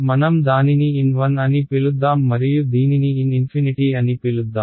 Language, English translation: Telugu, Let us call it n 1 ok, and let us call this n infinity ok